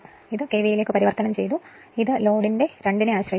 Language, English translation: Malayalam, So, we converted it to your KVA and it is dependent on the square of the load